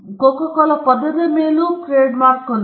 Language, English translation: Kannada, Coca Cola has trademark on the word